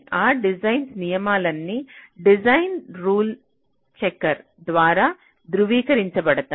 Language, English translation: Telugu, all those design rules are verified by a design rule checker which can tell you that